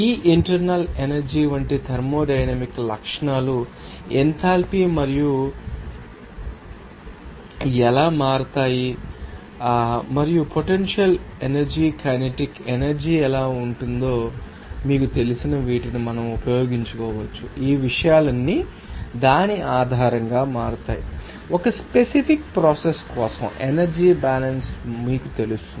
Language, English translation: Telugu, Then we can use these you know these thermodynamic properties of like this internal energy, how enthalpy change and also how potential energy kinetic energy, all those things are change based on that will be able to you know do the energy balance for a particular process